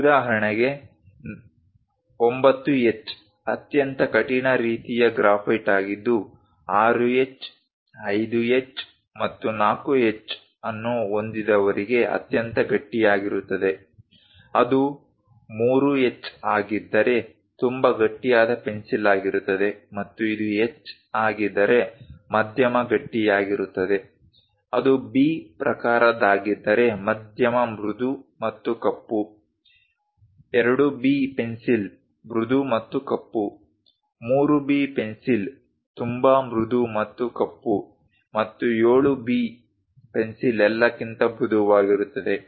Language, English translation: Kannada, For example, a 9H is very hardest kind of graphite one will having 6H, 5H and 4H extremely hard; if it is 3H very hard pencil and if it is H moderately hard, if it is a B type moderately soft and black, 2B pencils are soft and black, 3B pencils are very soft and black and 7B pencils softest of all